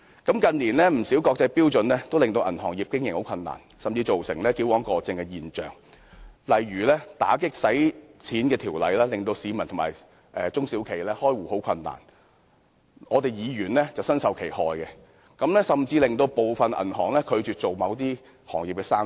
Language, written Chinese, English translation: Cantonese, 近年，不少國際標準均令銀行業經營困難，甚至造成矯枉過正的現象，例如打擊洗錢的條例，令市民和中小型企業開戶困難，我們議員便身受其害，部分銀行甚至拒絕做某些行業的生意。, In recent years many international standards have added to the difficulties of banking operation going so far as to be an overkill . Anti - money laundering legislation for example makes opening a bank account difficult for individuals and small and medium enterprises alike of which we legislators are victims . Some banks even refuse to do business with certain trades as a result